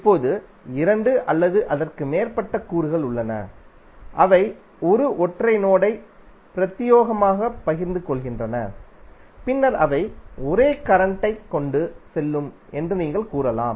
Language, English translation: Tamil, Now there are two or more elements which are in series they exclusively share a single node and then you can say that those will carry the same current